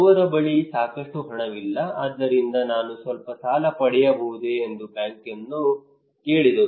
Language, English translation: Kannada, He does not have enough money maybe so he asked the bank that can I get some loan